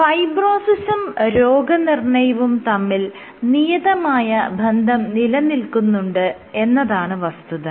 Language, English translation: Malayalam, And what has been observed is there is a strong correlation between fibrosis and prognosis